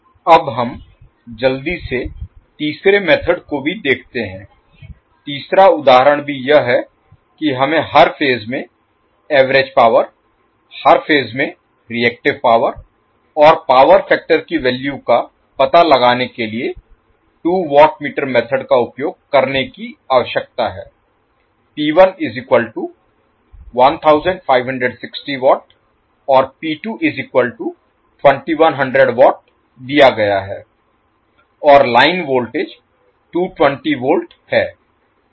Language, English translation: Hindi, Now, let us see quickly the third method also, third example also where we need to use the two watt meter method to find the value of per phase average power, per phase reactive power and the power factor P 1 and P 2 is given and the line voltages T 220 volt